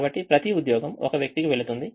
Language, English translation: Telugu, so each job goes to one person